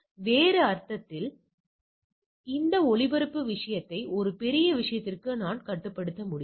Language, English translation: Tamil, And in other sense, I can also restricting this broadcasting thing to a large thing right